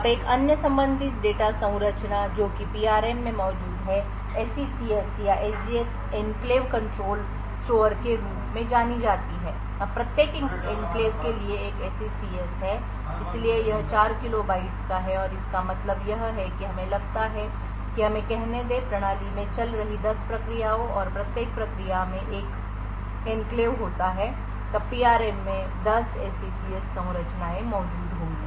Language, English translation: Hindi, Now another related data structure which is present in the PRM is known as the SECS or the SGX Enclave Control store now for each enclave there is one SECS so it is of 4 kilo bytes and what we mean by this is suppose there are let us say 10 processes running in the system and each process have one enclave then there would be 10 SECS structures present in the PRM